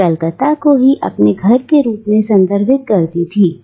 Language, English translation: Hindi, And it is Calcutta which she still wistfully refers to as a home